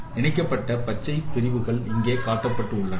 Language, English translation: Tamil, This is a green segment, so connected green segments are shown here